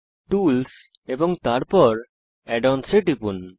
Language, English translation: Bengali, Click on Tools and then on Add ons